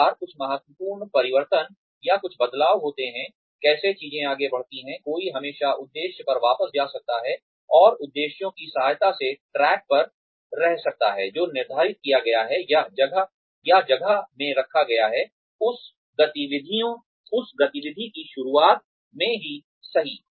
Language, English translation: Hindi, Every time, something significant changes, or there is some change in, how things are progressing, one can always go back to the objective, and stay on track, with the help of the objectives, that have been set, or put in place, right in the beginning of that activity